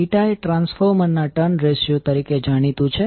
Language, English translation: Gujarati, n is popularly known as the terms ratio of the transformer